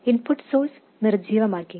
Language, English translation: Malayalam, And the input source of course is deactivated